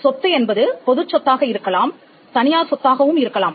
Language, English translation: Tamil, Property can be either public property or private property